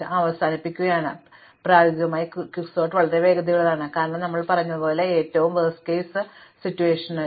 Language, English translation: Malayalam, So, in practice Quicksort is very fast, as we said the worst case happens very rarely